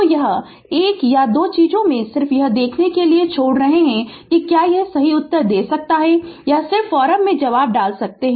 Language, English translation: Hindi, So, this 1 or 2 things I am leaving up to you just to see whether whether you can answer correctly or not you just put the answer in the forum